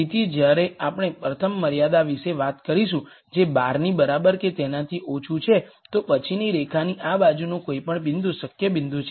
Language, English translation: Gujarati, So, when we talk about the first constraint which is less than equal to 12, then any point to this side of the line is a feasible point